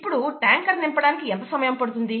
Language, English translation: Telugu, Now, how long would it take to fill the tank, right